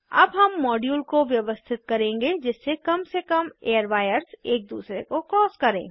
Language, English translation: Hindi, Now we will arrange the modules such that minimum number of airwires cross each other